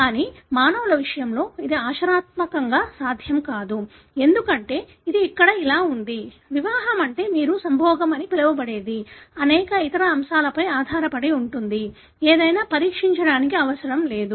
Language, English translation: Telugu, But, it is practically not possible in case of humans, because here this is; the marriage is what you call otherwise as mating it depends on many other factors, not necessarily for testing anything